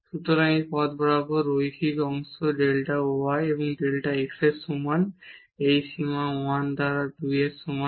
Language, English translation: Bengali, So, along this path linear part delta y is equal to delta x this limit is equal to 1 by 2